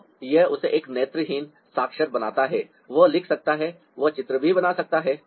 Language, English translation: Hindi, so that makes him a visually literate one that he can write